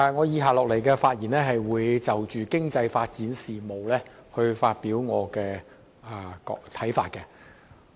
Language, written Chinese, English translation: Cantonese, 主席，我會就經濟發展事務，發表我的看法。, President I will express my views on the economic development